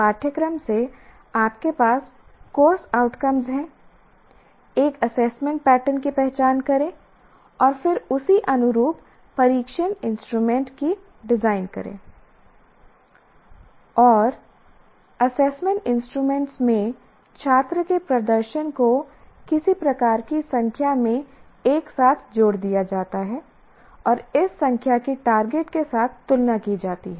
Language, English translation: Hindi, So what happens is from the course, you have course outcomes, you identify an assessment pattern, and then you correspondingly design your test assessment instruments, and the student performance in the assessment instruments are combined together into some kind of a number and this number is compared with the target